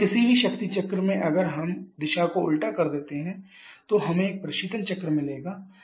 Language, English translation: Hindi, So, any power cycle if we reverse the directions we get a refrigeration cycle